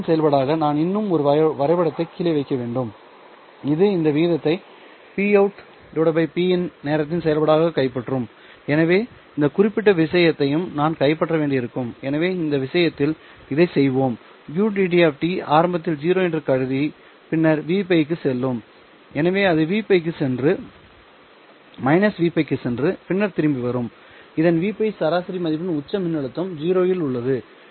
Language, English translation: Tamil, Then I have to also put down one more graph which will capture this ratio p out to p in as a function of time right so I'll have to capture this particular thing also so let us do that in this case I will assume that UD of t is zero initially and then goes all the way to v pi okay so it will go to v pi and then go to minus v pi and then come back so it has a a peak voltage of v pi